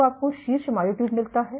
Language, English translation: Hindi, So, you get the top myotubes